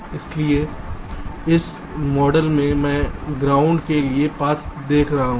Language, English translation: Hindi, so in this model i am looking the path to ground